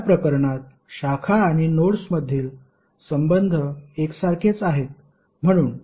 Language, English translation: Marathi, Why because relationship between branches and node is identical in this case